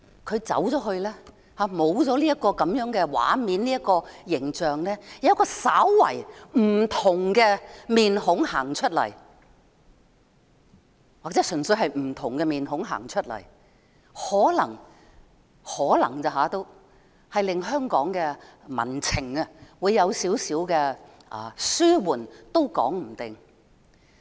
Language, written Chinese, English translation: Cantonese, 她離開後，便沒有這些畫面和形象，而有一個稍微不同的臉孔走出來，或純粹是不同的臉孔走出來，可能——只是可能——能令香港的民憤稍微紓緩，也說不定。, Upon her departure these scenes and images will be gone and a slightly different face will come to the fore or a merely different face will come to the fore possibly―just possibly―easing a little bit of the public anger in Hong Kong . It is touch - and - go